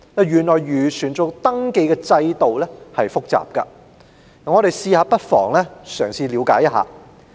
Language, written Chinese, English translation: Cantonese, 原來漁船的登記制度很複雜，我們不妨嘗試了解一下。, It turns out that the fishing vessel registration scheme is very complicated . Let us perhaps try to make sense of it